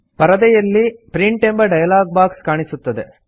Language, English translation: Kannada, The Print dialog box appears on the screen